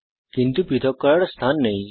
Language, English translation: Bengali, But there is no space separating them